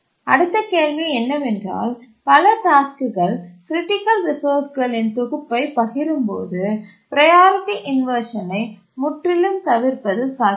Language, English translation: Tamil, When several tasks share a set of critical resources, is it possible to avoid priority inversion altogether